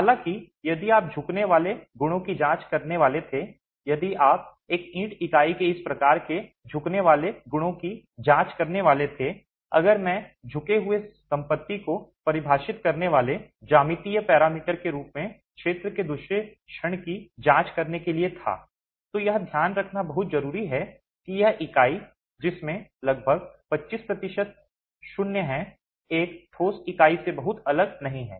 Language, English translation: Hindi, However, if you were to examine bending properties, if you were to examine bending properties of this sort of a brick unit, if I were to examine the second moment of area as a geometrical parameter that defines the bending property is very instructive to note that this unit which has about 25% void is not very different from a solid unit